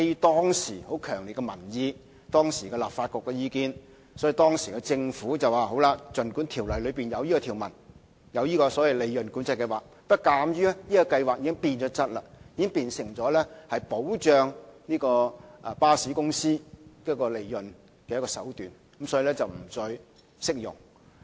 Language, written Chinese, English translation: Cantonese, 當時，基於強烈的民意和當時立法局的意見，政府表示儘管《條例》載有關乎計劃的條文，鑒於計劃已經變質，變成保障巴士公司利潤的手段，因此計劃不再適用於專營權。, At that time owing to strong public opinions and the views of the then Legislative Council the Government indicated that despite the PCS - related provisions in the Ordinance PCS should no longer be applied to a franchise as morbid changes in PCS had turned it into a means of guaranteeing profits for bus companies